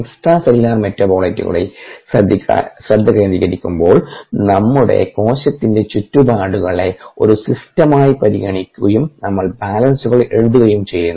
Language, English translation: Malayalam, ok, when we focus on extra cellular metabolites, we will consider the surrounding as cell, as a system, and write a balances